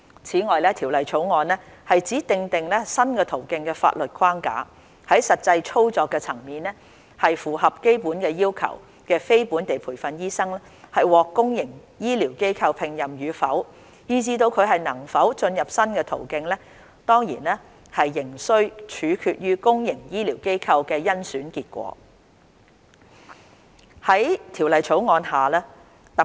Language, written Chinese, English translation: Cantonese, 此外，《條例草案》只訂定新途徑的法律框架，在實際操作層面，符合基本要求的非本地培訓醫生獲公營醫療機構聘任與否，以致能否進入新途徑，當然仍須取決於公營醫療機構的甄選結果。, In addition the Bill only sets out the legal framework for the new pathway . At the practical level the appointment of NLTDs who meet the basic requirements in the public healthcare institutions and their access to the new pathway will of course depend on the results of the selection process in the public healthcare institutions